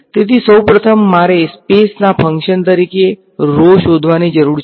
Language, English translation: Gujarati, So, first of all I need to find rho as a function of space